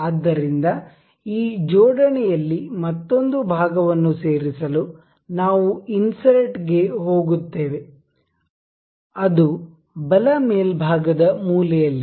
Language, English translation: Kannada, So, to include another part in this assembly we will go to insert component right there in the right top corner